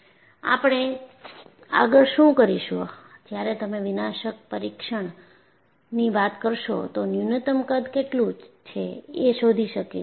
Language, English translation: Gujarati, So, what we will go about is, when you say a nondestructive testing, we will see that what the minimum size it can detect